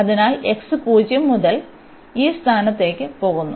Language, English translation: Malayalam, So, x goes from 0 to this point